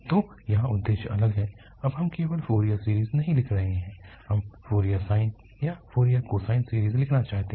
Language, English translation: Hindi, So, the aim here is different now, we are not writing just the Fourier series, we want to write the Fourier sine or Fourier cosine series